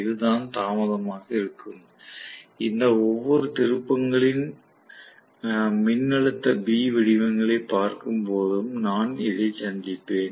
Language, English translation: Tamil, This is going to be the delay; I would encounter when I am looking at the voltage B forms of each of these turns